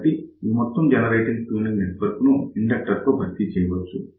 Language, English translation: Telugu, So, this entire generator tuning network is simply replaced by an inductor